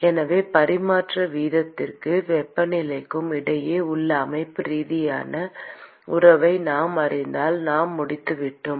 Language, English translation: Tamil, So, if we know the constitutive relationship between the transfer rate and the temperature, then we are done